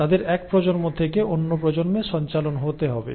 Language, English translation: Bengali, They have to be passed on they have to passed on from one generation to other